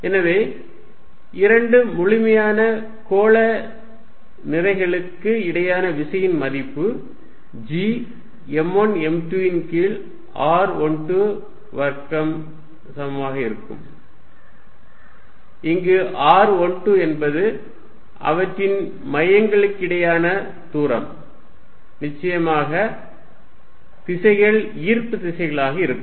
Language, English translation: Tamil, So, the force between two perfectly spherical masses, the magnitude will be equal to G m 1 m 2 over r 1 2 square, where r 1 2 is the distance between their centers and of course, the directions is attractive, so this one